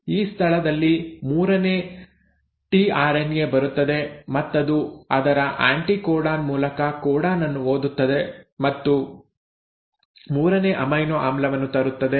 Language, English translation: Kannada, So now at this site the third tRNA will come which will read the codon through its anticodon and will bring the third amino acid